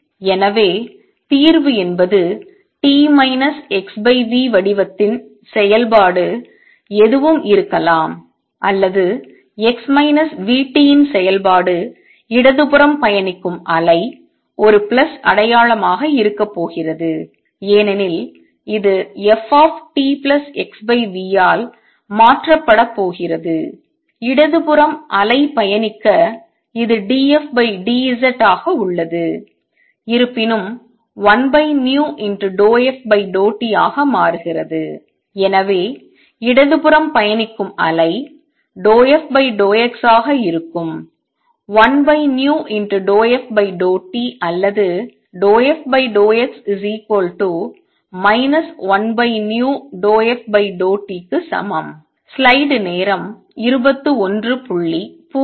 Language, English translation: Tamil, So, solution is the function of t minus x over v shape could be anything or a function of x minus v t is the same thing for the wave traveling to the left is going to be a plus sign because this is going to be replaced by f t plus x over v for wave travelling to the left this remains d f by d z this; however, becomes plus one over v partial f partial t and therefore, for the wave travelling to the left is going to be partial f by partial x is equal to plus 1 over v partial f by partial t or partial f partial x is minus one over v partial f partial t